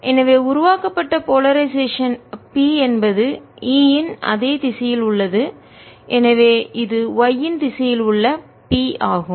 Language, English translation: Tamil, so let us say that the polarization created is p in the same direction, its e